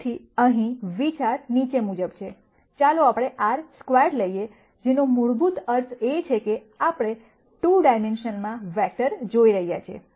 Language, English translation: Gujarati, So, the idea here is the following, let us take R squared which basically means that, we are looking at vectors in 2 dimensions